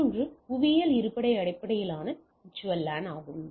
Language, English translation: Tamil, Another is geographical location based VLAN